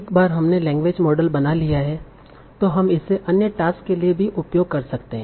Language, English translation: Hindi, Now, so once we have built a language model, we can also use it for other tasks